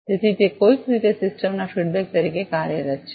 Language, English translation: Gujarati, So, that is some way acting as a feedback to the system